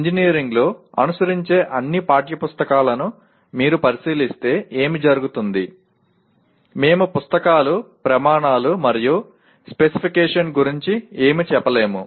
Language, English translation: Telugu, What happens if you look at all the text books that are followed in engineering we hardly the books hardly mention anything about criteria and specification